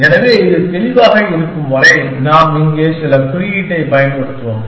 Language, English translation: Tamil, So, as long as it is clear, we will use some notation here